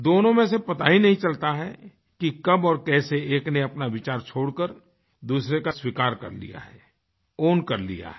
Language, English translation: Hindi, None of the two even realizes that how and when one other's has abandoned its idea and accepted and owned the idea of the other side